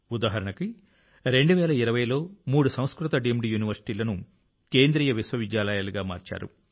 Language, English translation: Telugu, For example, three Sanskrit Deemed Universities were made Central Universities in 2020